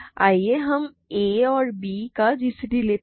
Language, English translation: Hindi, Let us take the g c d of a and b